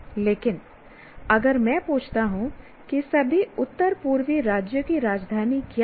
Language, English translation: Hindi, It's easy to remember, but if I say what are the capital cities of all northeastern states